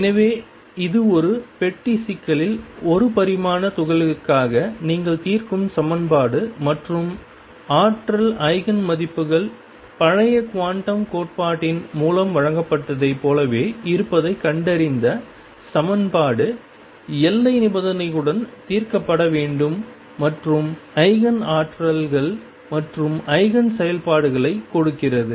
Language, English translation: Tamil, So, this is equation you solve it for one dimensional particle in a box problem and found the energy Eigen values to be the same as those given by old quantum theory the equation is to be solved to be solved with boundary conditions and gives Eigen energies and Eigen functions